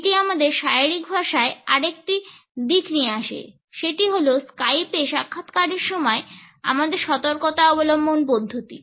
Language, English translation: Bengali, It brings us to another aspect of body language and that is the precautions which we should take while facing an interview on Skype